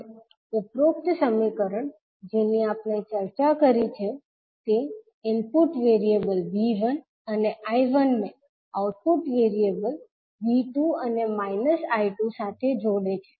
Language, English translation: Gujarati, Now, the above equation which we discussed relate the input variables V 1 I 1 to output variable V 2 and minus I 2